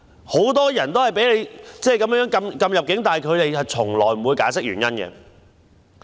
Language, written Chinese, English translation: Cantonese, 很多人也被政府禁止入境，但政府從來不會解釋原因。, Many people were also refused entry by the Government but no reasons have been given